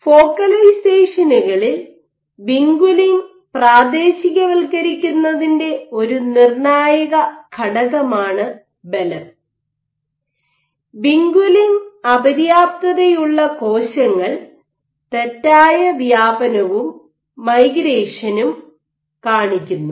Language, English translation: Malayalam, Now what people have found that force is an important determiner of vinculin localization at focalizations, and vinculin deficient cells, they display faulty spreading and migration